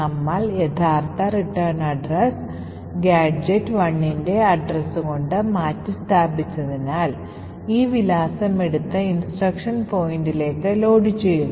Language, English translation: Malayalam, However, since we have replaced that original return address with the address of gadget 1, this address is taken and loaded into the instruction pointer